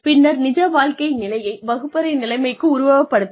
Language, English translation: Tamil, Then, simulate the real life situation, within the classroom situation